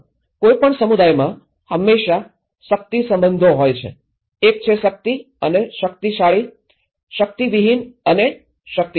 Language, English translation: Gujarati, In any community, there always a power relations; one is have and have nots, power and powerful; powerless and powerful